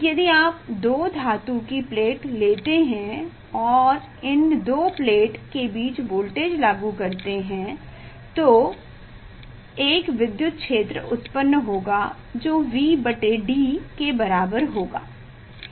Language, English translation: Hindi, If you take two metal plate and apply voltage between these two plate, then there will be electric field that is V by D